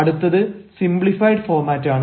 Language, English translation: Malayalam, next is the simplified format